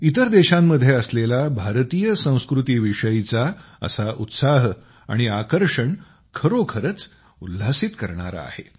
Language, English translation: Marathi, Such enthusiasm and fascination for Indian culture in other countries is really heartening